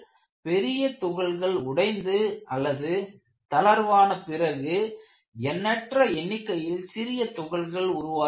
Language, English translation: Tamil, After the large particles let loose or break, holes are formed at myriads of smaller particles